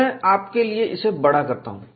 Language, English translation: Hindi, I will enlarge this for you